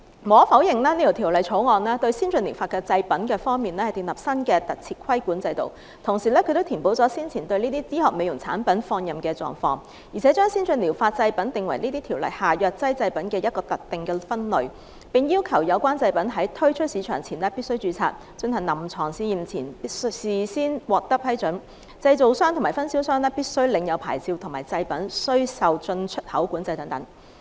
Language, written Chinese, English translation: Cantonese, 無可否認，《條例草案》對先進療法製品建立了新的規管制度，同時亦填補了先前對醫學美容產品放任不管的漏洞，而且將先進療法製品定為《條例》下藥劑製品的一個特定分類，並要求製品在推出市場前必須註冊，進行臨床試驗前須事先獲得批准，製造商和分銷商必須領有牌照和製品須受進出口管制等。, We have travelled all this way and waited all this time and finally this day has come . Undeniably the Bill will establish a new regulatory regime for ATPs and fill the loophole of the previous laissez - faire approach on medical beauty products . The Bill also proposes to classify ATPs as a specific subset of pharmaceutical products under the Ordinance and requires prior registration of ATPs before marketing prior approval for clinical trials licensing of manufacturers and distributors importexport control etc